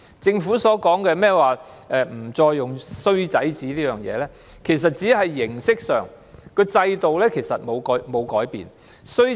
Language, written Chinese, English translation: Cantonese, 政府取消"衰仔紙"，但其實只是形式改變，制度沒有改變。, The abolition of the bad son statement is nothing but a formality change yet the system remains unchanged